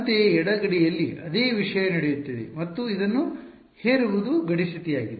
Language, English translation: Kannada, Similarly, at the left boundary same thing is happening and imposing this is boundary condition